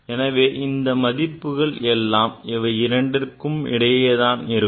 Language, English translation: Tamil, So, other value will be between, between these two